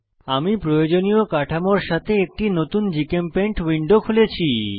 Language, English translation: Bengali, I have opened a new GChemPaint window with the required structures